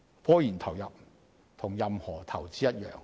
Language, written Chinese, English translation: Cantonese, 科研投入與任何投資一樣，均會產生風險。, Like other forms of investment investments in scientific research incur risks